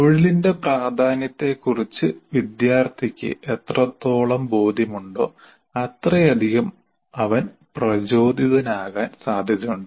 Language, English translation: Malayalam, The more the student is convinced of its importance to the profession, the more motivated is likely to be